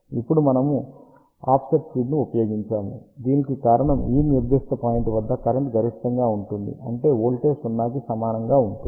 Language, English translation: Telugu, Now, we have use the offset feed the reason for that is at this particular point current is maximum so; that means, voltage will be equal to 0